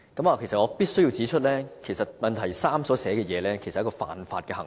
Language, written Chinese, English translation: Cantonese, 我必須指出，主體質詢第三部分所述的情況是犯法行為。, I must point out here that the situation mentioned in part 3 of the main question constitutes an offence